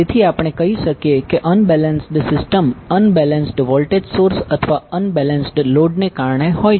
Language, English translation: Gujarati, So therefore we can say that unbalanced system is due to unbalanced voltage sources or unbalanced load